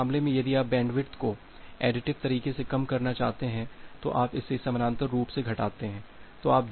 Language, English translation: Hindi, Now at this case if you want to decrease the bandwidth in a additive way, you just decrease it parallelly